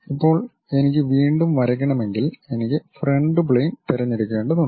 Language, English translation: Malayalam, Now, anything if I want to really draw again I have to pick the Front Plane and so on things I have to do